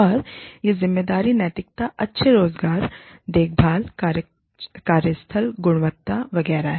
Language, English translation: Hindi, And, these are responsibility ethics, good employment care, workplace quality, etcetera